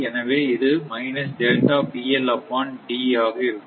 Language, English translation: Tamil, So, it will be minus delta p l upon d